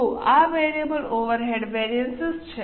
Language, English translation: Gujarati, So, this is variable overhead variance